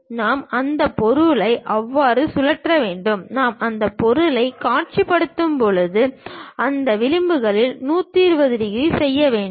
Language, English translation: Tamil, So, we have to rotate that object in such a way that; when I visualize that object, these edges supposed to make 120 degrees